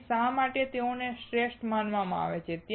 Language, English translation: Gujarati, So, why they are considered best